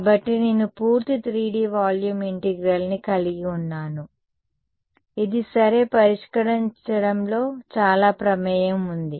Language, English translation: Telugu, So, then I have a full 3D volume integral which is fairly involved to solve ok